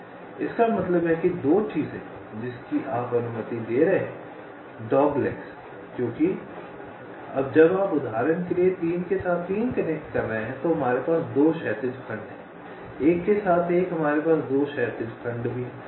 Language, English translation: Hindi, so you make the connection something like this, which means two things: that you are allowing doglegs because that when you are connecting, say for example, three with three, we have two horizontal segments, one with one, we have also two horizontal segments